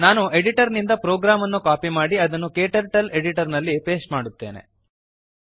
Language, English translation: Kannada, Let me copy the program from editor and paste it into KTurtles editor